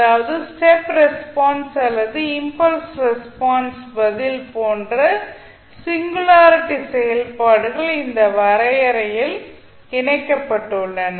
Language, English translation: Tamil, That means that the singularity functions like step response or impulse response are incorporated in this particular definition